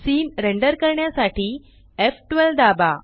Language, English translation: Marathi, Press f12 to render the scene